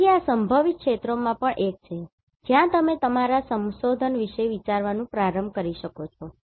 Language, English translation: Gujarati, So, this is also one of the potential areas where you can start thinking of your research